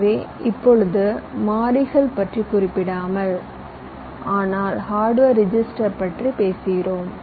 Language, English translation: Tamil, we we are not talking about the variables, but you are talking about the hardware registers